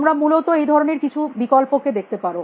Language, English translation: Bengali, You can look at some of those option essentially